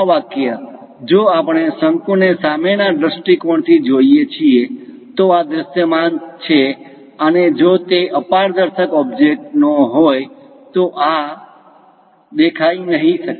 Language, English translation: Gujarati, This line, if we are looking from frontal view of a cone, this is visible; and this one may not be visible if it is opaque kind of object